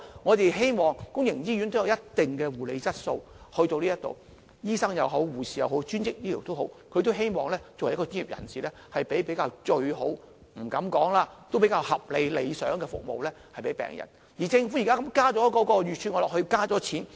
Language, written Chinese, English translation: Cantonese, 我們希望公營醫院也有一定的護理質素，不管是醫生、護士或專職醫療，他們作為一名專業人士，即使不敢說是最好的，但也希望為病人提供比較合理和理想的服務。, As medical professionals whether they are doctors nurses or allied health professionals they all hope to provide their patients with better and more reasonable services though they dare not say the best services